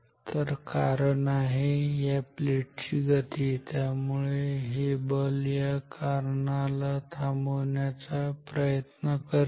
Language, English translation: Marathi, The cause is the motion of the plate, so the force is trying to stop the cause